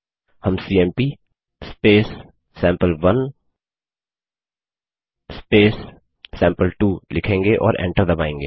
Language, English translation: Hindi, We will write cmp sample1 sample2 and press enter